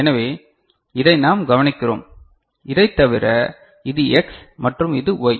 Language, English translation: Tamil, So, this is what we note ok, other than that what we see this is X and this is Y